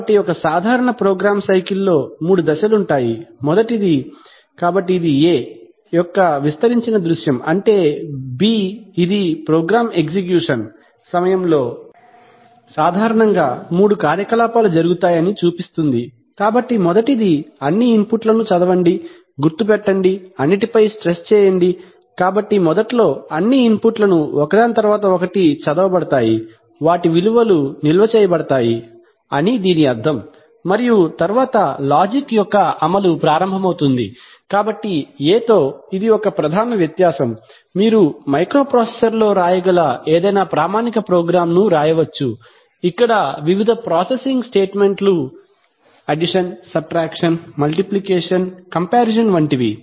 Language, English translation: Telugu, So a typical program cycle includes three steps, first is, so this is a, an expanded view of, a, namely B which shows that typically three activities take place during a program execution, so the first one is, read all inputs, mark the stress on all, which means that, it is not that, so initially it means that, initially all the inputs are read one after the other and their values are stored and then the execution of the logic begins, so this is a major difference with a, with any standard program which you could write in a microprocessor, in a microprocessor you could write a you could write a program where the various processing statements addition, subtraction, multiplication, comparison whatever you have